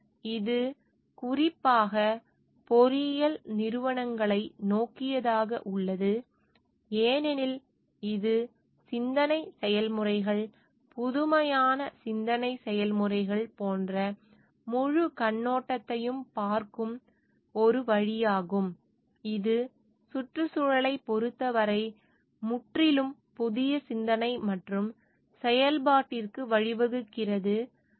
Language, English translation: Tamil, And it more specifically towards the engineering organisations because it is a way of looking at the whole perspective bringing in like thought processes, innovative thought processes which gives rise to a totally new way of thinking and doing with respect to the environment